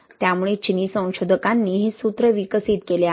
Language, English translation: Marathi, So Chinese researchers have developed this formula